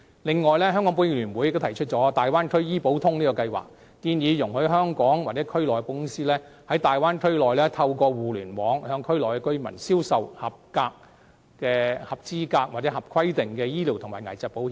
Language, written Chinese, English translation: Cantonese, 此外，香港保險業聯會亦提出"大灣區醫保通"計劃，建議容許香港或區內的保險公司，在大灣區內透過互聯網向區內居民銷售合資格和合規定的醫療及危疾保險。, Besides the Hong Kong Federation of Insurers has proposed a Bay Area medical insurance scheme . Under the proposal insurance companies in Hong Kong or in the Bay Area are permitted to market on the Internet eligible and regulated medical and illness insurance among residents in the Bay Area